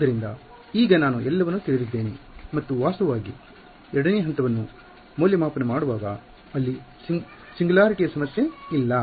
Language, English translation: Kannada, So, now, I know everything and in fact, in evaluating step 2, there is there is no problem of singularities because